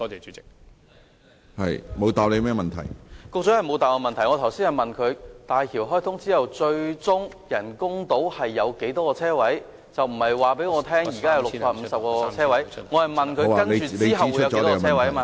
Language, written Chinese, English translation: Cantonese, 主席，局長沒有回答我的補充質詢，我剛才問他大橋開通之後，人工島最終有多少泊車位，我並不是要他告訴我，現時有650個泊車位，我是問他之後會有多少泊車位？, President the Secretary has not answered my supplementary question . I asked him just now after the commissioning of HZMB ultimately how many parking spaces will be provided on the artificial island . I did not ask him to tell me there are now 650 parking spaces